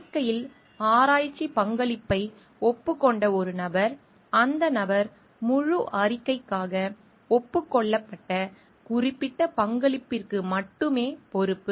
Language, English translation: Tamil, A person whose research contribution is acknowledged in the report is only accountable for the specific contribution for which the person is acknowledged not for the whole report